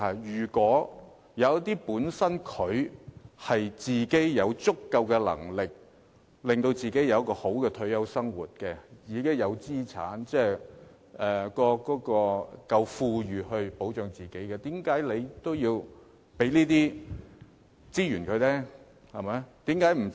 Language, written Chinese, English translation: Cantonese, 如果長者本身有足夠能力令自己過較好的退休生活，自己有資產，能保障自己，為何還要把資源分配給他呢？, If some elderly people have assets and sufficient means to live a better retirement life why should resources be allocated to them?